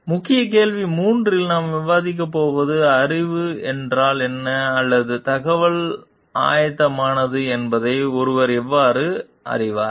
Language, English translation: Tamil, In key question 3 we are going to discuss about: how does one know what knowledge or information is preparatory